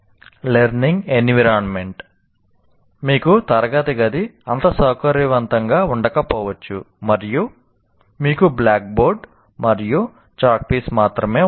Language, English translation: Telugu, And once again, learning environment, you may have not so comfortable a classroom, only you have blackboard and chalk piece